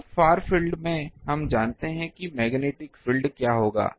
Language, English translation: Hindi, Now in the far field, we know what will be the magnetic field